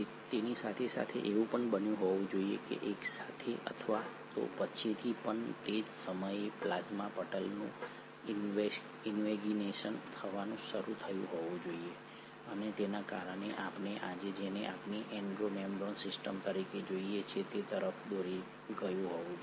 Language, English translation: Gujarati, Simultaneously theere must have happened, simultaneously or even later around the same time the plasma membranes must have started invaginating, and this must have led to what we see today as our Endo membrane system